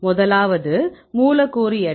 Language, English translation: Tamil, The first one is molecular weight